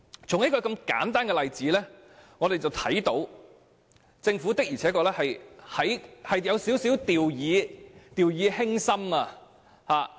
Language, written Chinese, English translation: Cantonese, 從這個簡單的例子可以看到，政府的確有點掉以輕心。, It can be seen from this simple example that the Government has treated this matter lightly